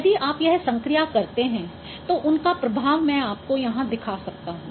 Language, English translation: Hindi, So if you perform this operation I can show you the effect here